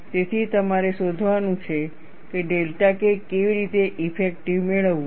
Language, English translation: Gujarati, So, you have to find out, how to get delta K effective